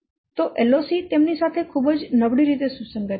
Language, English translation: Gujarati, So LOC correlates very poorly with them